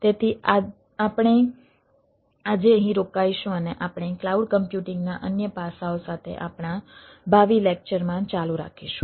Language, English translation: Gujarati, so we will stop here today and we will continue in our future lecture with other aspects of cloud computing